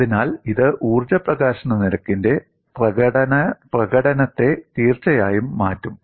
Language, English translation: Malayalam, So, this would definitely alter the expression for energy release rate